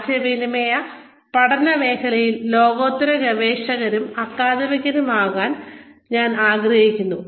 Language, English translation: Malayalam, I would like to be, a world class researcher and academic, in the area of communication studies